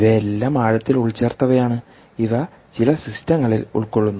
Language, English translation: Malayalam, these are all deeply embedded, these are enclosed in certain systems